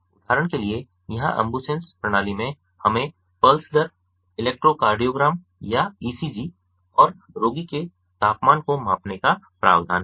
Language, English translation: Hindi, for example, here in the ambusens system we have the provision for measuring the pulse rate, the electrocardiogram or ecg and also the temperature of the patient